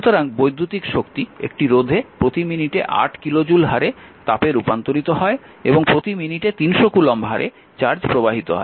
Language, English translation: Bengali, So, electrical energy is converted to heat at the rate of 8 kilo joule per minute in a resister and charge flowing through it at the rate of 300 coulomb per minute